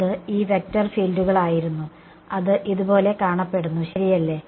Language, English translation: Malayalam, They were these vector fields that look like this right